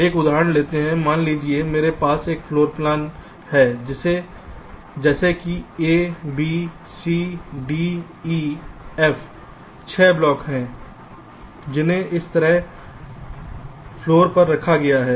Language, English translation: Hindi, suppose i have a floor plan like this: a, b, c, d, e, f, there are six blocks which are placed on the floor like this